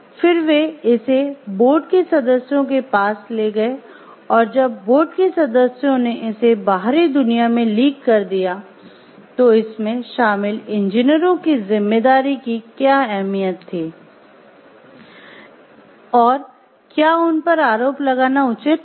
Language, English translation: Hindi, Then they took it to the board members, and when the board members leaked it to the outside world then what was the degree of responsibility of the engineers involved in it that it went to the press